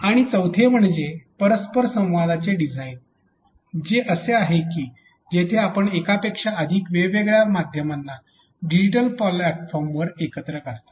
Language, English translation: Marathi, And the fourth one is the interaction design which is when you assemble multiple mediums onto a platform which is accessed digitally